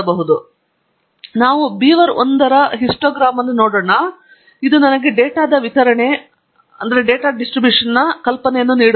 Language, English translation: Kannada, So, letÕs look at the histogram of beaver1 which gives me an idea of the distribution of the data